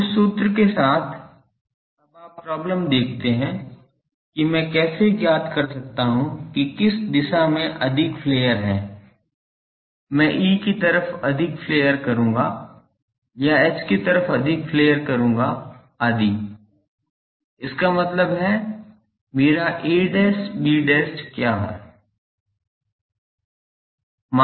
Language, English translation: Hindi, So, with that formula now you see problem is how I find out that, which direction to flare more whether I will put more flare on E side or more flare on H side etc